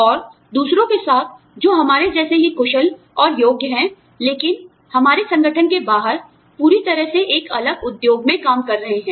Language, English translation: Hindi, And, with others, who are as skilled and qualified as us, but are working in a different industry, outside our organization, completely